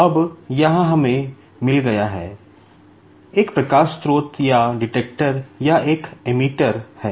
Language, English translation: Hindi, Now, here, we have got, there is a light source or a detect or an emitter